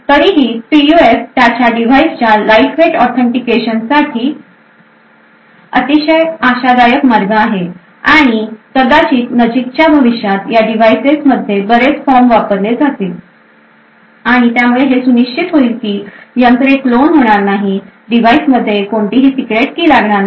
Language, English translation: Marathi, Nevertheless PUFs are very promising way for lightweight authentication of its devices and perhaps in the near future we would actually see a lot of forms being used in these devices and this would ensure that the devices will not get cloned, no secret key is required in the device and so on, thank you